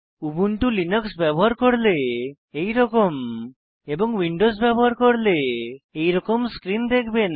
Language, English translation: Bengali, If you are an Ubuntu Linux user, you will see this screen